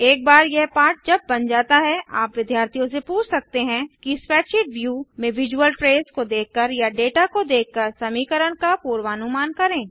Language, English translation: Hindi, Once this lesson is prepared you can ask students to predict the function by seeing the visual trace or the data in the spreadsheet view